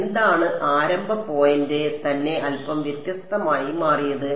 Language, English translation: Malayalam, What was the starting point itself became slightly different